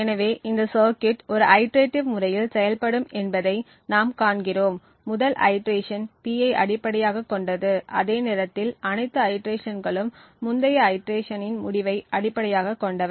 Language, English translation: Tamil, Thus, what we see that this circuit would operate on in an iterative manner, the first iteration would be based on P, while all subsequent iterations are based on the result of the previous iteration